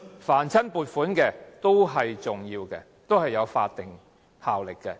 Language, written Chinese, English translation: Cantonese, 凡是撥款，都是重要的，都是有法定效力的。, All appropriation approvals are important and carry legislative effect